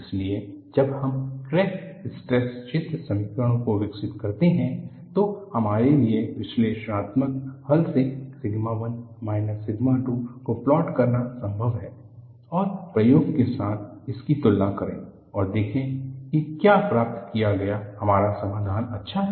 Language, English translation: Hindi, So, when we develop the crack stress field equations, it is possible for us to plot sigma 1 minus sigma 2 from analytical solution and compare it with the experiment and see whether our solution obtain is good enough